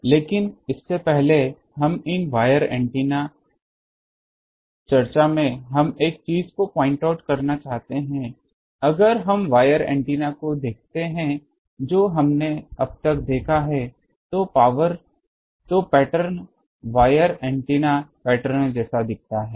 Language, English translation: Hindi, But, before that in these wire antenna discussion we want to point out one thing if we look at the wire antennas that we have seen till now the pattern wire antenna pattern looks like these